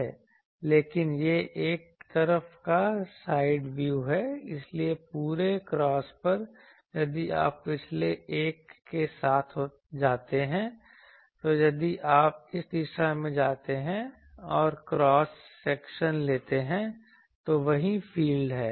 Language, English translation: Hindi, But this is a side view so, over the whole cross, if you go along the its previous, so if you go along this direction, so there always this if you take a cross section the same field is there